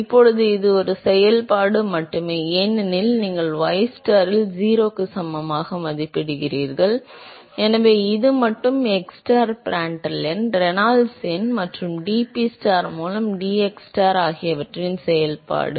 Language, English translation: Tamil, Now this is only a function of, because you are evaluating at ystar equal to 0, so, this is only a function of xstar Prandtl number, Reynolds number and dPstar by dxstar